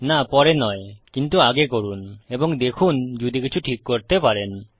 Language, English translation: Bengali, No, not after but check before and see if you can fix anything